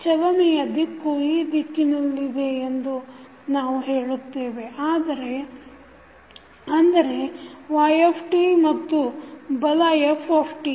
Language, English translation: Kannada, We say that the direction of motion is in this direction that is y t and force is f t